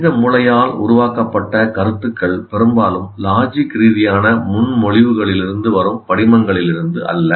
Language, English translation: Tamil, Ideas generated by human brain often come from images, not from logical propositions